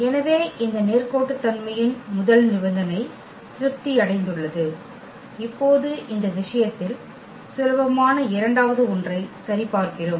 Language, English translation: Tamil, So, the first condition of this linearity is satisfied and now we will check for the second one which is also trivial in this case